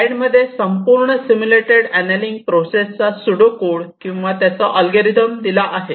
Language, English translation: Marathi, this is the overall pseudo code of this simulated annealing process or algorithm